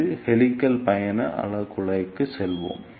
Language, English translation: Tamil, Now, let us move on to the helix travelling wave tube